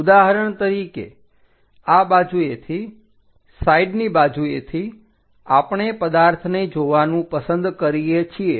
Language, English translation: Gujarati, For example, from this directions side direction we will like to see the object